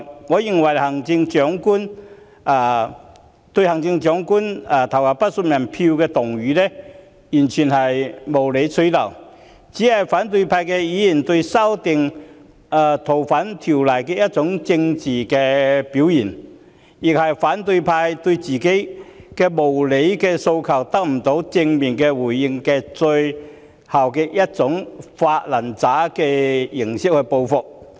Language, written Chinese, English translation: Cantonese, 我認為"對行政長官投不信任票"議案完全無理取鬧，只是反對派議員對修訂《逃犯條例》的政治表現，亦是反對派因為自己的無理訴求得不到正面回應而作出的"發爛渣式"報復。, I think this debate on Vote of no confidence in the Chief Executive proposed purely for vexatious effect is nothing more than political posturing on the part of opposition Members against the amendment of the Fugitive Offenders Ordinance FOO and their revenge―in the form of a big tantrum―inflicted because their unreasonable demands failed to elicit a positive response